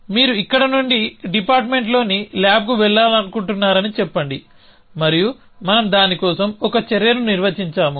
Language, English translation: Telugu, That let say let you want to go from here to a lab on the department and we have defined an action for that